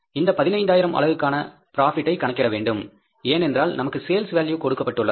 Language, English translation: Tamil, So, we will have to find out the cost for the 15,000 units, we will have to find out the profit for the 15,000 units because we are given the sales value